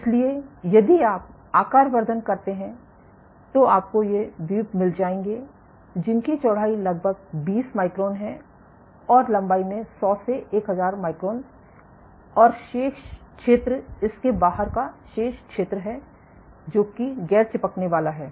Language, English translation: Hindi, So, if you zoom in you will get these islands which are roughly 20 microns in width, and 100 to 1000 microns in length and the remaining area, the remaining area outside this is non adhesive ok